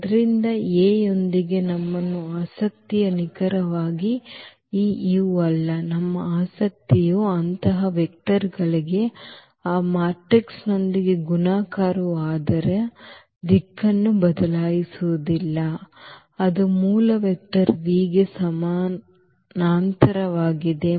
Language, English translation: Kannada, So, our interest is not exactly this u with this A, our interest is for such vectors whose multiplication with that matrix does not change its direction its a parallel to the original vector v